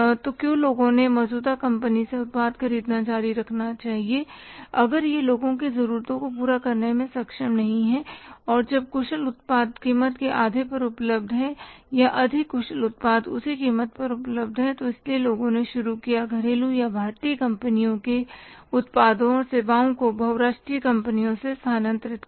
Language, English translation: Hindi, So, why people should keep on buying the product from the existing company if it is not able to serve the needs of the people and when efficient product is available at half of the price or more efficient product is available at the same price so people started shifting from the domestic or Indian companies production services to the multinational companies